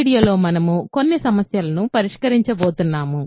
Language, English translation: Telugu, In this video, we are going to do some problems